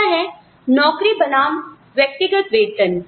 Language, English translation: Hindi, The other is, job versus individual pay